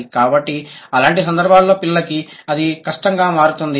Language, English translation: Telugu, So, in such cases it becomes difficult for the child